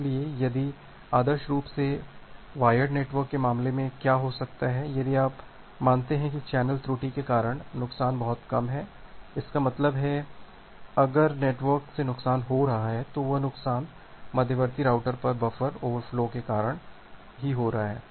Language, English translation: Hindi, So, ideally what can happen in case of wired network, if you assume that the loss due to channel error is very less; that means, if there is a loss from the network that loss is coming due to the buffer overflow at the intermediate routers